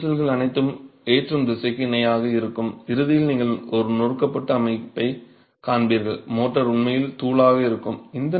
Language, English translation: Tamil, So these cracks are all going to be parallel to the direction of loading and at ultimate you would see a crushed system, the motor would actually be powder